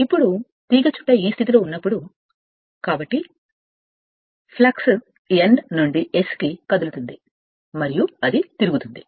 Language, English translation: Telugu, Now when the coil is in like this position right, so flux moving from N to S and it is revolving